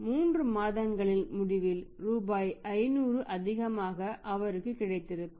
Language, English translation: Tamil, So, at the end of 3 months he would have ended up getting 500 rupees more